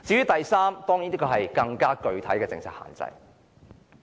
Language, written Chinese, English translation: Cantonese, 第三點關乎一項更具體的政策限制。, The third point is about a more specific policy constraint